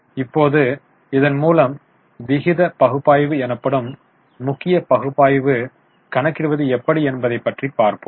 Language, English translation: Tamil, Now, with this, we will go to major form of analysis that is known as ratio analysis